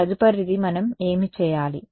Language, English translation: Telugu, Next is next what do we need to do